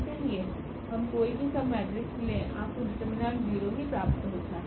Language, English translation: Hindi, So, the all the submatrices you take whatever order the determinant is going to be 0